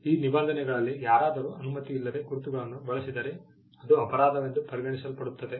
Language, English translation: Kannada, These were the provisions by which if someone used a mark without authorization that was regarded as a criminal offence